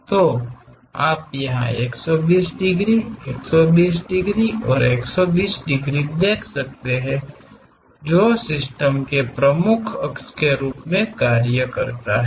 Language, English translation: Hindi, So, you can see here the 120 degrees, 120 degrees and 120 degrees which serves as principal axis of the system